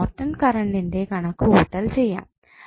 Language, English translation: Malayalam, Now, next task is to find out the value of Norton's current